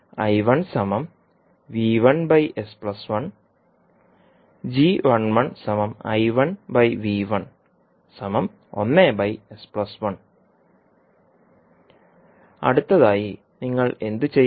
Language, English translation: Malayalam, Now next, what do you have to do